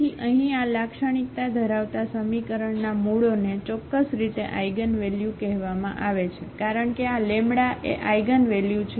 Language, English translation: Gujarati, So, here the roots of this characteristic equation are exactly called the eigenvalues because this lambda is the eigenvalue